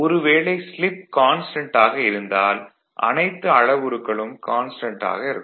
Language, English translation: Tamil, If slip is constant if you suppose slip is given, because all are the parameters will remain constant